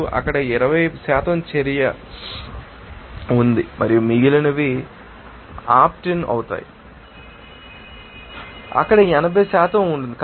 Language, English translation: Telugu, 2 there is 20% of action and remaining will be your you know opt in that will be 80% there